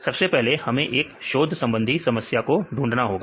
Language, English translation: Hindi, First we need to identify the research problem